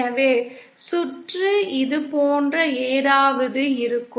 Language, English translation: Tamil, So the circuit would look something like this